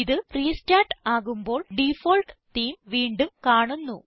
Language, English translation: Malayalam, When it restarts, the default theme is once again visible